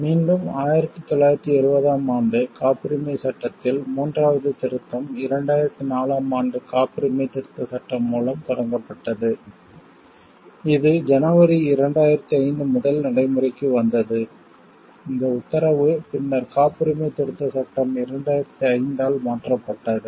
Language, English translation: Tamil, Again, there was a third amendment to the Patents Act in 1970 was initiated through the Patents Amendment Ordinance 2004 with effect from first January 2005, this ordinance was later replaced by the Patents Amendment Act 2005 act; 15 of 2005 on 4th April 2005 which was brought into force from 1st January 2005